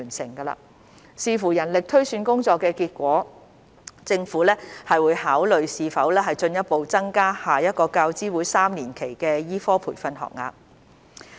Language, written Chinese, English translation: Cantonese, 政府會視乎人力推算工作的結果，考慮是否進一步增加下一個教資會3年期的醫科培訓學額。, Depending on the results of the manpower projection exercise the Government will consider whether to further increase the number of medical training places in the next UGC triennium